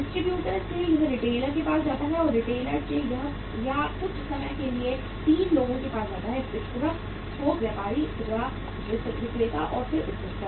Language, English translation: Hindi, From the distributor it goes to the retailer and from the retailer it goes to the or sometime there are the 3 people; distributor, wholesaler, retailer, and then consumer